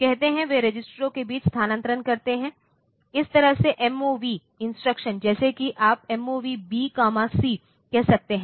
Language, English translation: Hindi, Say, they transfer between registers, like this MOV instruction like you can say MOV B comma C